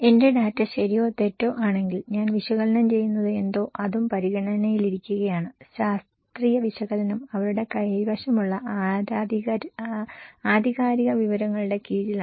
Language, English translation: Malayalam, So, what I am analysing is also under considerations if my data is right or wrong, the scientific analysis is also under subject of that what authentic data they have